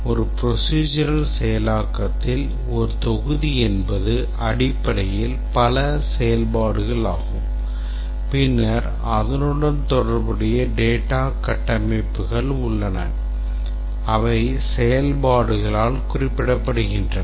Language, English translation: Tamil, In a procedural implementation, a module is basically several functions and then they are associated data structures which are referred by the functions